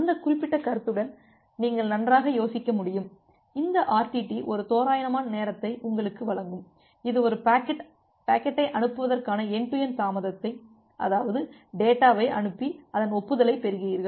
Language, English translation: Tamil, Then with that particular concept you can think of that well this RTT will give you an approximate time that what will be your end to end delay of transmitting a packet because you are sending the data you are getting the acknowledgement